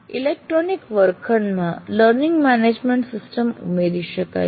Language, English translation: Gujarati, Our electronic classrooms with learning management system also accessible